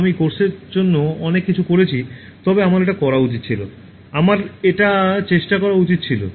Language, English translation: Bengali, so much I did for the course, but I should have done that, I should have tried it, so if only I did that, I would have got this